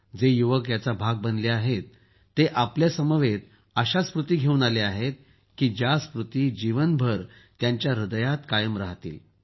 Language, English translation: Marathi, All the youth who have been a part of it, are returning with such memories, which will remain etched in their hearts for the rest of their lives